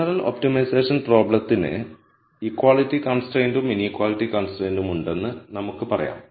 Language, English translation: Malayalam, So, general multivariate optimization problem we can say has both equality and inequality constraints